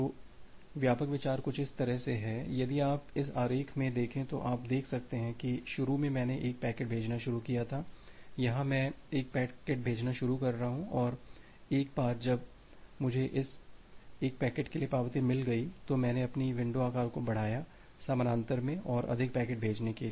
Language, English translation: Hindi, So, the broad idea is something like this if you look into this diagram you can see that initially I started sending 1 packets, here I am I have started sending 1 packets and once I receive the acknowledgement for that 1 packet, I increase my window size to send more packets in parallel